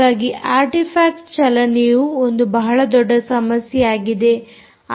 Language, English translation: Kannada, so motion artifact is the major issue, ah